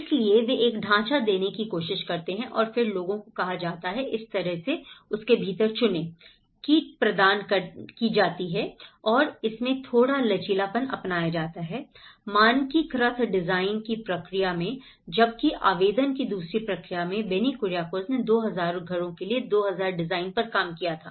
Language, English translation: Hindi, So, they try to give a template over and then people were asked to choose within that so in that way, the kit is provided and there is a little flexibility adopted in the standardized design process whereas in the second process of application, where Benny Kuriakose have worked on 2,000 designs for 2,000 houses